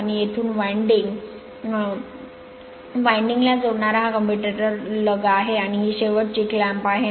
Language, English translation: Marathi, And this is your commutator lugs from here where it is connected to the winding, and this is your end clamp